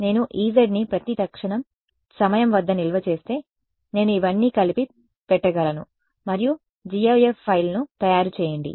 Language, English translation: Telugu, If I store the E z at every time instant I can put it all together and make gif file